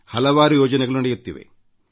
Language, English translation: Kannada, There are many projects under way